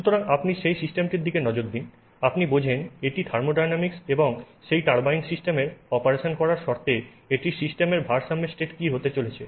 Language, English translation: Bengali, So, you look at that system, you understand its thermodynamics and what is going to be the equilibrium state of that system under the conditions of operation of that turbine system, okay